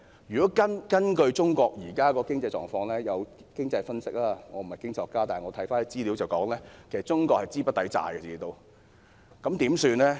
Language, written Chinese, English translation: Cantonese, 如果根據中國現時的經濟狀況——我不是經濟學家，但看資料可得知——中國資不抵債。, Considering the current economic situation of China although I am not an economist the information tells us that China will be unable to service its debts